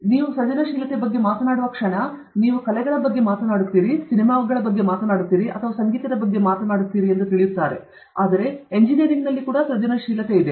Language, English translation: Kannada, So, the moment you talk about creativity, you talk about arts, you talk about movies, you talk about music and so on, but actually there’s a lot of creativity in engineering also